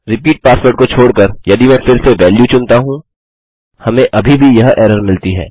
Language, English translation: Hindi, If I again choose a value except the repeat password, we still get this error